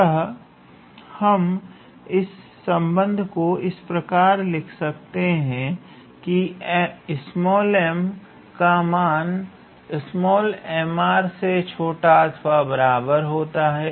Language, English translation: Hindi, So, we can write that relation as a small m is lesser equal to small m r